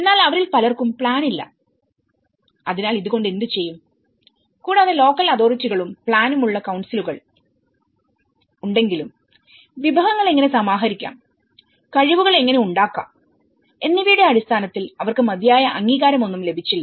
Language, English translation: Malayalam, But many of them they are not having plan, they don’t have plan, so what to do with this and even, if there are the council's which are having the local authorities which are having plan and they also they did not receive any adequate recognition in terms of how to mobilize the resources and how to build the capacities